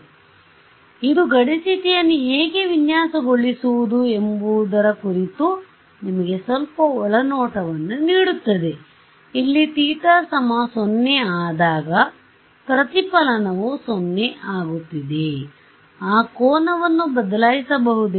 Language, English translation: Kannada, So, does this give you some insight into how to design a boundary condition, here the reflection is becoming 0, at theta equal to 0